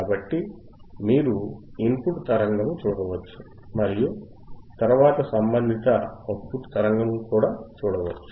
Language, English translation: Telugu, So, you can see the signal input signal and then we can also see the corresponding output signal right ok